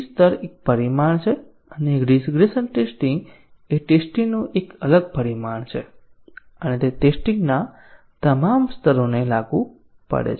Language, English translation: Gujarati, So, level is one dimension and regression testing is a different dimension of testing and it is applicable to all levels of testing